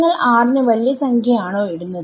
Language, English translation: Malayalam, Do you put r to be a large number